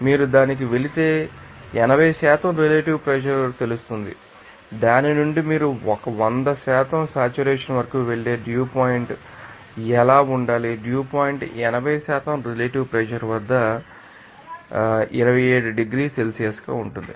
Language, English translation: Telugu, If you go to that, you know 80% relative humidity and from that, what should be that dew point that you go to that you know up to that hundred percent saturation, it is seen that dew point to be = 27 degrees Celsius at 80% relative humidity at 30 degrees Celsius